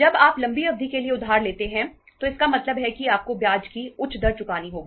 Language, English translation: Hindi, When you borrow for the long period it means you have to pay the higher rate of interest